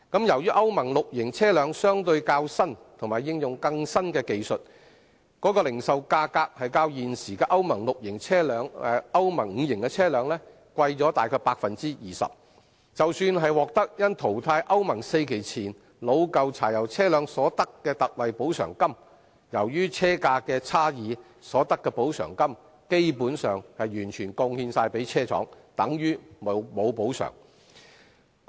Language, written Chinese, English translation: Cantonese, 由於歐盟 VI 期車輛相對較新及應用更新的技術，零售價格較現時歐盟 V 期車輛昂貴大約 20%， 即使獲得因淘汰歐盟 IV 期前的老舊柴油車輛所得的特惠補償金，由於車價的差異，所得的補償金基本上完全貢獻給車廠，等於沒有補償。, As Euro VI vehicles are relatively new to which more novel technology is applied their retail prices are about 20 % higher than that of the existing Euro V vehicles . Even with the ex - gratia payment provided for phasing out aged pre - Euro IV diesel vehicles given the price premium basically the allowances are fully pocketed by vehicle manufacturers tantamount to there being no allowance at all